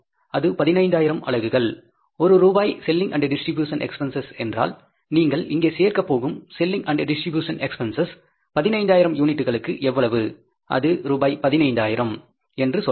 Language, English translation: Tamil, If the 1 rupees selling and distribution cost, it means the selling a distribution cost you are going to add up here is that is going to be say for 15,000 units, how much 15,000 rupees